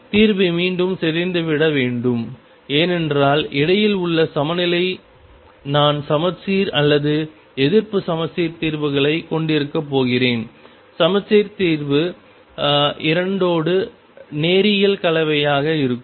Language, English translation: Tamil, The solution again has to decay because the bound state in between I am going to have either symmetric or anti symmetric solutions the symmetric solution would be linear combination with two